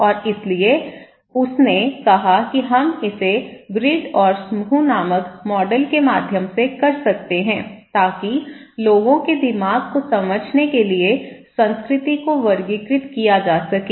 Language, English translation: Hindi, And so, she said that we can do it through the model called grid and group to categorize the culture to understand people's mind